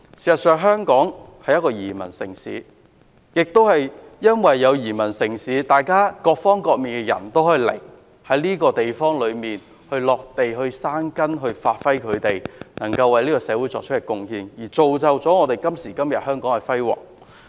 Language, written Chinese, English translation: Cantonese, 事實上，香港是一個移民城市，正因如此，世界各地的人也可以前來，在這個地方落地生根，發揮他們所長，為這個社會作出貢獻，造就香港今時今日的輝煌。, This is outrageous indeed . Hong Kong is actually a city of immigrants . This is the reason why people around the world can also come and take root in Hong Kong and to contribute to society with their expertise and play their part in creating the glorious Hong Kong today